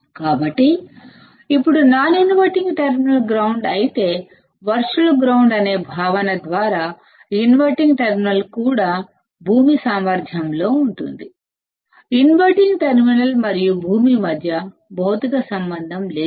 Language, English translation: Telugu, So, now if the non inverting terminal is grounded; then by the concept of virtual ground the inverting terminal is also at ground potential; though there is no physical connection between the inverting terminal and ground